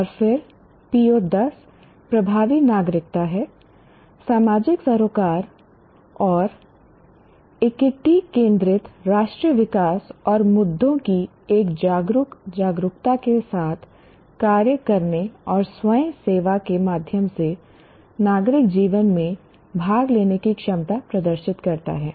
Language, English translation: Hindi, And then, PO 10 is effective citizenship, demonstrate empathetic social concern and equity centered national development, and the ability to act with an informed awareness of issues and participate in civic life through volunteering